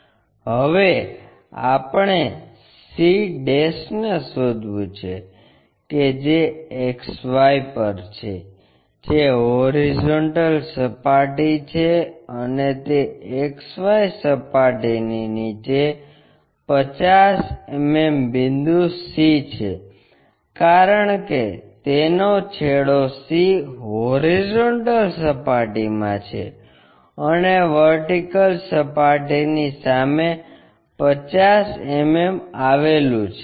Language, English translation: Gujarati, And now we have to locate c' which is on XY which is horizontal plane and c 50 mm below that XY plane, because its end c is in horizontal plane and 50 mm in front of vertical plane